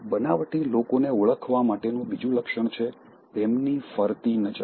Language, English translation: Gujarati, Another trait, for identifying the fake people, is their shifting glances